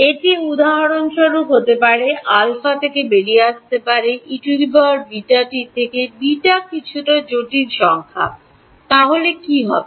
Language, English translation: Bengali, It can be for example, alpha could may turn out to be E to the beta t where, beta is some complex number; then what will happen